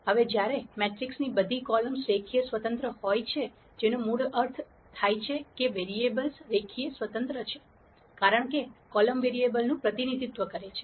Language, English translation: Gujarati, Now when all the columns of the matrix are linearly independent that basi cally means the variables are linearly independent, because columns represent variable